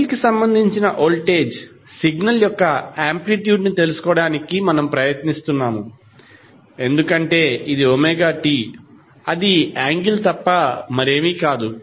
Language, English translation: Telugu, Now what we are doing in this figure we are trying to find out the amplitude of voltage signal with respect to angle because this is omega T that is nothing but angle